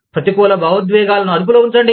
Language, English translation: Telugu, Keep negative emotions, under control